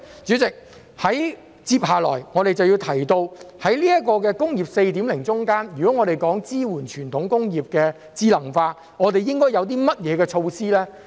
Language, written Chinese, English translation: Cantonese, 主席，接下來我們就要提到，在"工業 4.0" 之中，如果要支援傳統工業智能化，應該有些甚麼措施呢？, President next we have to talk about what measures should be taken to support the intelligentization of traditional industries in the Industry 4.0